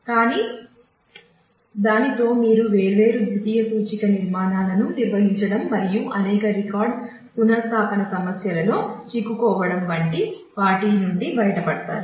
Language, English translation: Telugu, But with that you get yourself get rid of the requirement of maintaining different secondary index structures and getting into several record relocationess problems